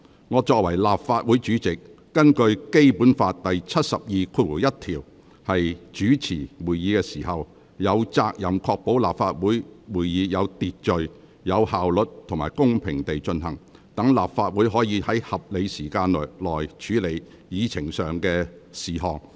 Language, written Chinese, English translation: Cantonese, 我作為立法會主席，根據《基本法》第七十二條第一項主持會議時，有責任確保立法會會議有秩序、有效率及公平地進行，讓立法會可以在合理時間內，完成處理議程上的事項。, As the President of the Legislative Council when I preside over meetings under Article 721 of the Basic Law I am duty - bound to ensure that Council meetings are conducted in an orderly efficient and fair manner so that all the items on the Agenda can be completed within a reasonable period of time